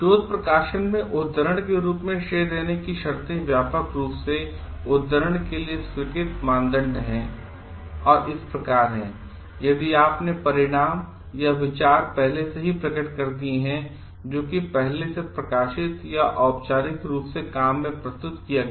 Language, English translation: Hindi, The conditions for crediting as a citation are widely accepted criteria for citation in research publications are: in case you drew results or ideas that already appeared in previously published or formally presented in work